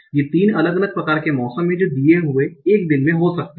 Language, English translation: Hindi, The other three different kinds of weather that can happen on a given day